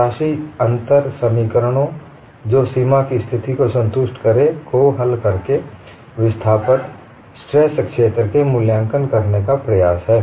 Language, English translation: Hindi, One attempts to evaluate the displacement or stress field by solving the governing differential equations satisfying the boundary conditions